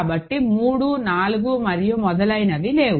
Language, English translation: Telugu, So, 3, 4 and so on is not there